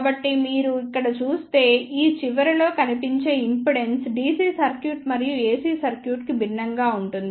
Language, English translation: Telugu, So, if you see here the impedance seen at this end will be different for the DC circuit and the AC circuit